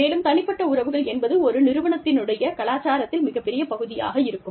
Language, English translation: Tamil, And, personal relationships, are a big part of an organization's culture